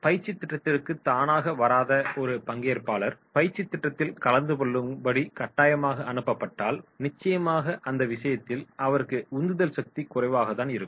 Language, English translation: Tamil, And a training who is not voluntarily coming for the training program, who is forcefully sent to attend the training program then definitely in that case is level of motivation will be low